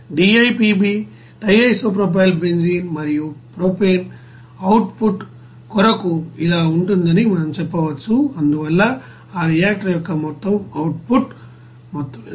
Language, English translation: Telugu, We can say that for DIPB and propane output will be like this, so what will be the total amount of output of that reactor